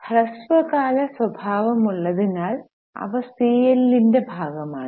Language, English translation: Malayalam, Since they are short term in nature, they are also a part of CL